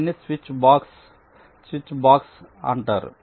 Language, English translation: Telugu, so this is called a switchbox